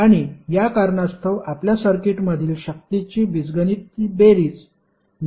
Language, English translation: Marathi, And for this reason your algebraic sum of power in a circuit will always be 0